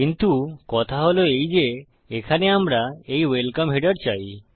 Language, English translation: Bengali, But the point is that we want this welcome header here